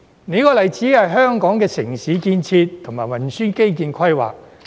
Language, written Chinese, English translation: Cantonese, 另一個例子是香港的城市建設及運輸基建規劃。, Another example is the planning of urban development and transport infrastructure in Hong Kong